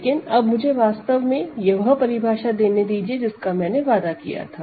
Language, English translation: Hindi, But now let me actually give you the definition that I promised